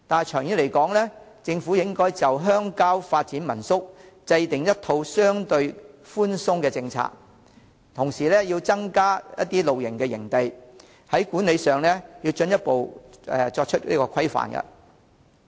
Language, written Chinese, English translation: Cantonese, 長遠而言，政府應就鄉郊發展民宿制訂一套相對寬鬆的政策，同時增加露營營地，管理上要進一步規範。, In the long run the Government should formulate a set of relatively lenient policies for developing home - stay lodgings in rural areas while at the same time increase the number of campsites and further standardize the administration of campsites